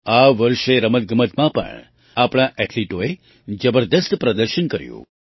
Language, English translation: Gujarati, This year our athletes also performed marvellously in sports